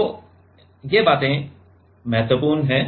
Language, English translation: Hindi, So, this things are important